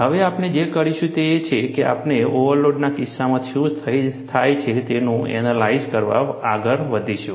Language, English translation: Gujarati, Now, what we will do is, we will move on to analyze, what happens in the case of a overload